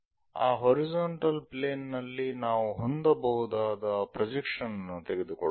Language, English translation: Kannada, When we are projecting what we can see is on this horizontal plane